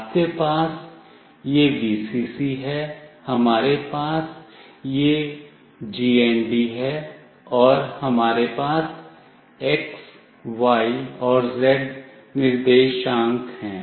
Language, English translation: Hindi, You have this Vcc, we have this GND, and we have x, y and z coordinates